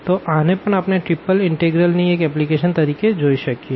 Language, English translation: Gujarati, So, that also we can look into as one of the applications of the triple integral